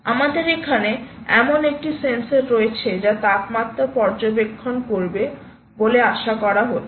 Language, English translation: Bengali, there is a sensor, ah, which is expected to monitor the temperature